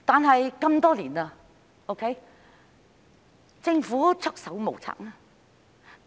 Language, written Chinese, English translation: Cantonese, 可是，多年來，政府都是束手無策。, Regrettably over the years the Government has been at its wits end